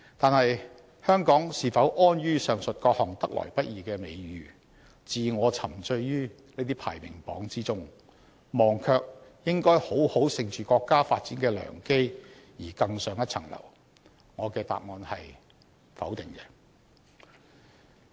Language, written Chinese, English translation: Cantonese, 可是，香港是否安於上述各項得來不易的美譽，自我沉醉於這些排名榜之中，忘卻應要好好乘着國家發展的良機，而更上一層樓呢？, Nevertheless can Hong Kong be complacent with the above hard - earned reputations and rankings and ignore to leverage the opportunities brought by Chinas development to go from strength to strength?